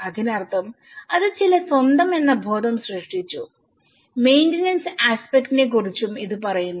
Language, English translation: Malayalam, So, that means that has created some sense of ownness also talks about the maintenance aspect